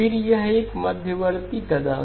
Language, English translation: Hindi, Again, this is an intermediate step